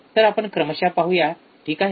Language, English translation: Marathi, So, let us see one by one, alright